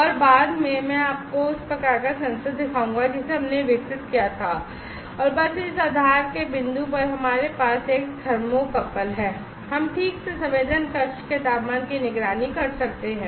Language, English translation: Hindi, And later I will show you the type of sensor that we developed and just at the point of this base we have a thermocouple, we can precisely monitor the temperature of the sensing chamber itself